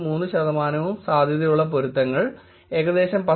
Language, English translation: Malayalam, 3 percent and highly likely and likely matches were about 10